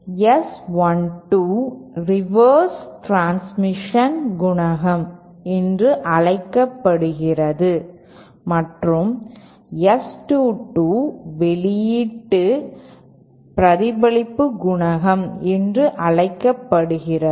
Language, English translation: Tamil, S 1 2 is known as the reverse transmission coefficient and S 2 2 is known as the output reflection coefficient